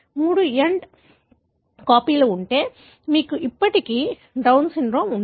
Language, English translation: Telugu, If there are three end copies, then you still have Down syndrome